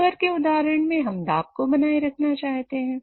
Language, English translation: Hindi, In the case of cooker example, we want to maintain the pressure